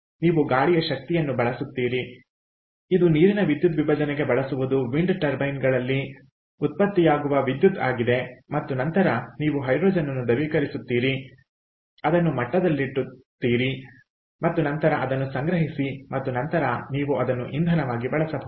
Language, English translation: Kannada, all right, so you have to get hydrogen from wind power via electrolysis, so you use wind power, the electricity generated in wind turbines that is used for electrolysis of water, and then you liquefy the hydrogen, pressurizing it and then store it and that you then you can use it as a fuel